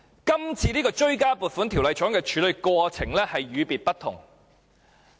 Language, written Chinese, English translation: Cantonese, 這次追加撥款條例草案的處理過程與別不同。, Deputy President the handling process of this supplementary appropriation Bill is not quite the same